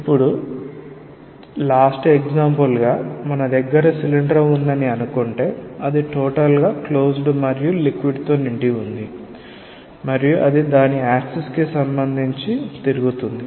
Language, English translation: Telugu, Now if it is totally closed cylinder as a final example say we have a cylinder that is totally closed and filled up with liquid and rotated with respect to its axis